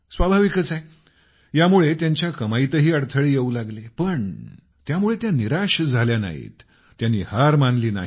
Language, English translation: Marathi, Naturally, their income got affected as well but they did not get disheartened; they did not give up